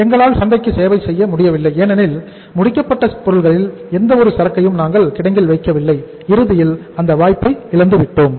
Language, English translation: Tamil, We are not able to serve the market because we do not keep any inventory of the finished goods in the warehouse and ultimately we have lost that opportunity